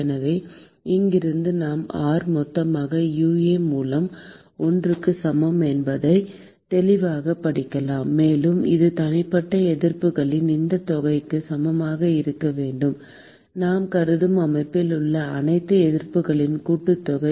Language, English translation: Tamil, So, from here we can clearly read out that R total equal to 1 by UA; and that should be equal to this sum of the individual resistances; sum of all the resistances that is involved in the system that we are considering